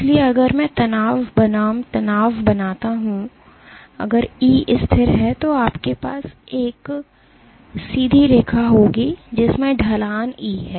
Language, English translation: Hindi, So, if I plot stress versus strain, if E is constant then you will have a linear a straight line the slope being E